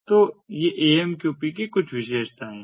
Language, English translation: Hindi, so these are the main features of amqp